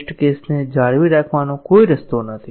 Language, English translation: Gujarati, There is no way we can maintain the test case